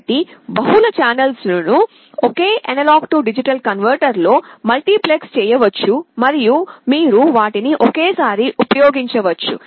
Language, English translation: Telugu, So, multiple channels can be multiplexed on the same A/D converter and you can use them simultaneously